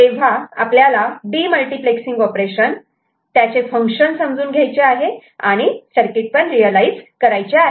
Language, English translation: Marathi, So, this is the demultiplexing operation that we have to functionally understand the function of it and realize the circuit